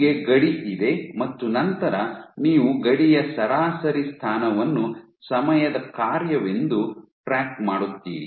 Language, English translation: Kannada, So, you have the border you track the average position of the border as a function of time